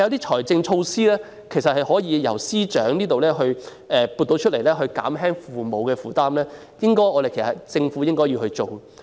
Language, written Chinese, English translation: Cantonese, 但是，司長可以採取財政措施，透過撥款減輕父母的負擔，這是政府應做的工作。, However the Financial Secretary can take financial measures to reduce the burden on parents through allocation of funds . This is what the Government should do